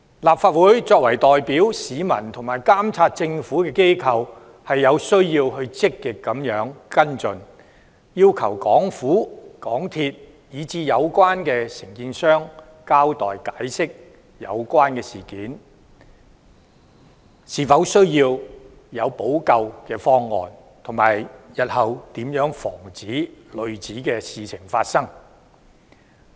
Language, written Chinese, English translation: Cantonese, 立法會作為代表市民和監察政府的機構，有需要積極跟進，要求港府、港鐵公司以至有關承建商交代和解釋有關事件，研究是否需要制訂補救方案，以及日後如何防止類似事情發生。, Representing the public and being a watchdog on the Government the Legislative Council should proactively follow up this incident and request the Hong Kong Government MTRCL as well as the contractors concerned to give an account and explanation of the incidents . We should also examine whether it is necessary to work out remedies and how to prevent similar incidents from recurring in future